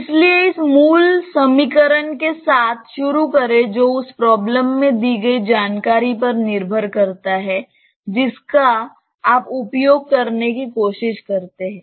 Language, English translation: Hindi, So, start with this basic equation depending on whatever information is given in the problem you try to use it